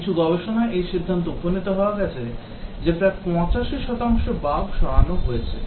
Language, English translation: Bengali, Some studies they conclude that about 85 percent of the bugs are removed